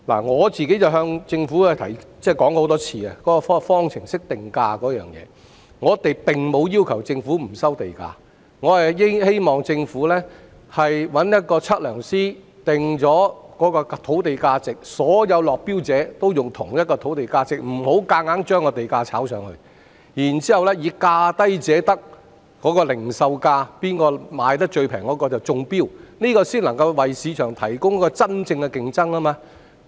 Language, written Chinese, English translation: Cantonese, 我已多次向政府提出有關方程式定價的意見，我們並沒有要求政府不收地價，我們只希望政府請測量師訂定土地價值，讓所有落標者均採用同一個土地價值，不要強行將地價炒高，然後以價低者得，即零售價最便宜者中標，這樣才能夠為市場提供一個公平競爭的環境。, We have not requested the Government not to charge land premium but we only hope that the Government will engage surveyors to determine the land premium so that all the bidders can adopt the same land premium and the land premium will not be pushed up . Then the successful bidder will be the one with the lowest tender price or retail price . Only by doing so can a level playing field be provided for market players